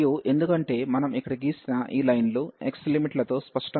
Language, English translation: Telugu, And the x limits are clear, because these lines which we have drawn here